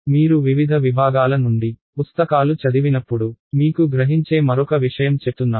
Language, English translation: Telugu, One other thing I want to mention which will happen to you when you read books from different disciplines